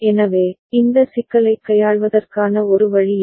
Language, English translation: Tamil, So, this is one way of handling this problem